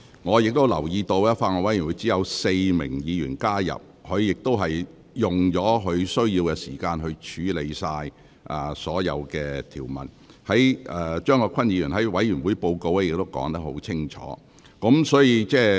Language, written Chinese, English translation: Cantonese, 我留意到，法案委員會只有4名議員加入，法案委員會亦已處理所有條文，而委員會報告中亦已作出清楚解釋。, I notice that only four Members have joined the Bills Committee; the Bills Committee has scrutinized all the clauses of the Bill and a clear explanation has been given in its report